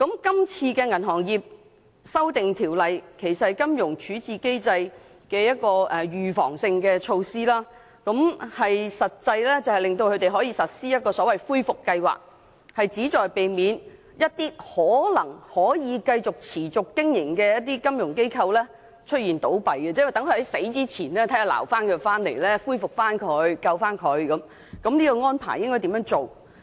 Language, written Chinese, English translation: Cantonese, 今次的《條例草案》其實是有關金融處置機制的預防性措施，實際上是令恢復計劃可予實施，以避免一些可能可以繼續持續經營的金融機構倒閉，即是說，在金融機構倒閉前嘗試作出挽救，恢復或拯救機構，並訂明應如何作出有關安排。, This Bill actually has to do with the preventive measures under the resolution regime for financial institutions . It is practically meant to enable a recovery plan to be implemented so as to prevent the collapse of a financial institution which may be able to continue as a going concern . In other words attempts would be made to take actions to save recover or rescue a financial institution to pre - empt its collapse and the Bill also contains provisions on how these arrangements should be made